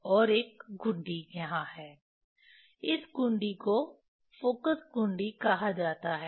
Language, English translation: Hindi, And another knob is here, this knob is called focus knob